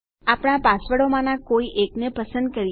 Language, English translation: Gujarati, Lets choose one of our passwords